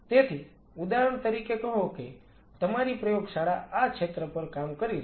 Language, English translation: Gujarati, So, say for example, your lab has been working on this area